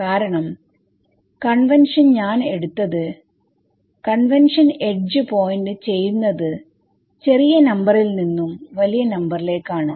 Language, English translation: Malayalam, Because the convention I have taken is, convention edge points from a smaller number to a larger number